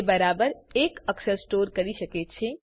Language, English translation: Gujarati, It can store exactly one character